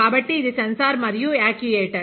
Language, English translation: Telugu, So, this is a sensor and actuator